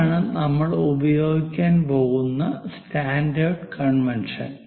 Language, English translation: Malayalam, There is this standard convention what we are going to use